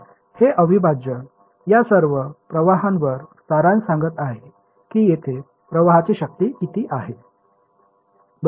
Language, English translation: Marathi, So, this integral is saying sum over all of these currents what is the current strength over here